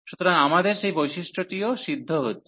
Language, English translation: Bengali, So, we have that property also satisfy